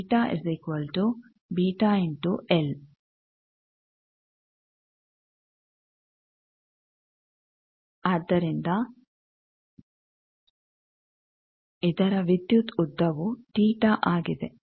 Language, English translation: Kannada, So, this electrical length of this 1 is theta